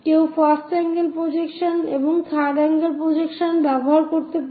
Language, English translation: Bengali, To know more about this first angle projection system or third angle projection system